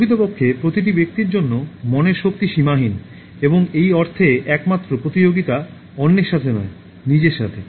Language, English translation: Bengali, Actually, mind power for each person is unlimited and, in this sense the only competition is with oneself not with everyone